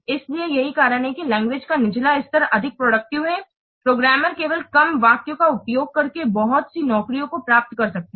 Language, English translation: Hindi, So that's why the lower level of the language, the more productive with the programmer is by using only fewer statements he can achieve a lot of jobs